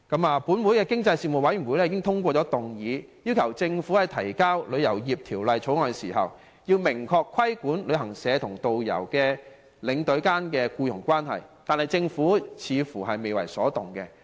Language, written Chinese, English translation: Cantonese, 立法會經濟事務委員會已通過議案，要求政府在提交《旅遊業條例草案》時，明確規管旅行社與導遊及領隊間的僱傭關係，但政府似乎未為所動。, The Panel on Economic Development of the Legislative Council has passed a motion urging the Government to upon submission of the Travel Industry Bill clearly regulate the employment relationships between travel agents and tourist guides and between travel agents and tour escorts . However it seems that the Government has remained indifferent